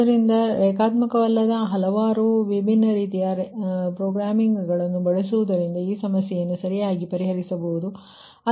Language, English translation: Kannada, so using nonlinear, several different type of nonlinear programming, one can solve this problem right ah